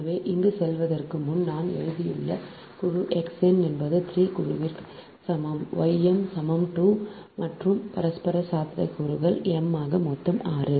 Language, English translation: Tamil, so before going to that here i have written: group x, n is equal to three, group y, m is equal to two, and mutual possibilities: m into n, totally six right